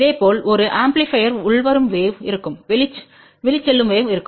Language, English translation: Tamil, Similarly for an amplifier there will be a incoming wave there will be outgoing wave